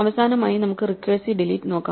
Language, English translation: Malayalam, Finally, we can come down to the recursive delete